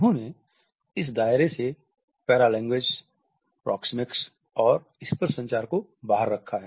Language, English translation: Hindi, They have excluded paralanguage, proxemics and tactile communication from this purview